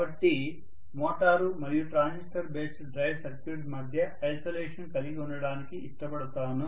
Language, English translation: Telugu, So I might like to have the isolation between the motor and the transistor based drive circuit that can be done very nicely by using a transformer